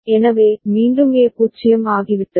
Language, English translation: Tamil, So, then again A has become 0